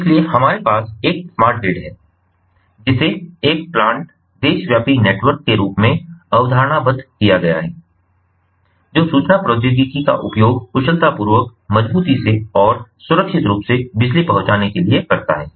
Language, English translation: Hindi, so we have a smart grid, which is conceptualized as a plant, nationwide network that uses information technology to deliver electricity efficiently, reliably and securely